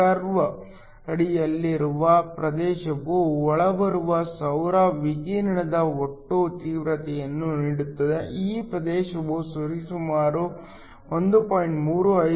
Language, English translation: Kannada, The area under the curve gives the total intensity of the incoming solar radiation; this area has a value of around 1